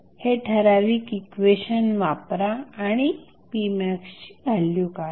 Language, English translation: Marathi, So, you apply this particular equation and find out the value of p max